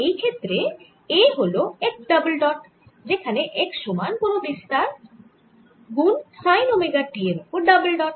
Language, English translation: Bengali, in this case a is equal to x dole dot, x is nothing but some amplitude, sin omega t, double dot